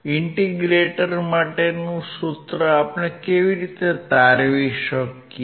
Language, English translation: Gujarati, How can we derive the formula of an integrator